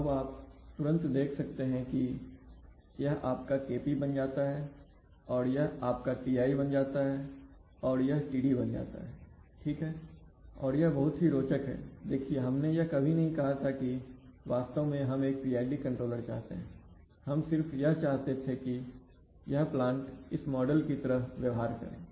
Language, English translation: Hindi, So now you can immediately see that this becomes your Kp, so this becomes your Kp this becomes your Ti and this becomes your Td right, and it is very interestingly see, we never, we never said that we actually want a PID controller we just wanted to, wanted this plant